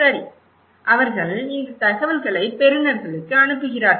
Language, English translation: Tamil, Okay, they pass it to receivers these informations